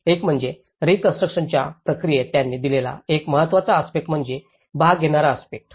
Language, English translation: Marathi, One is, in the rebuilding process they have given one of the important aspect is the participatory aspect